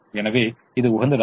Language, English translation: Tamil, therefore it is optimum